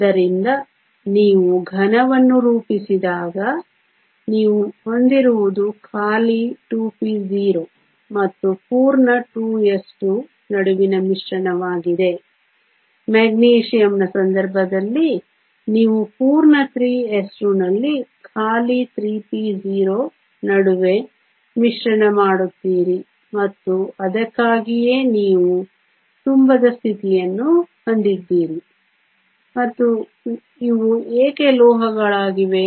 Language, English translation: Kannada, So, what you have when you form a solid is the mixing between the empty 2 p 0 and the full 2 s 2, in the case of Magnesium you have mixing between the empty 3 p 0 in the full 3 s 2 and that is the reason why you have an unfilled state and why these are metals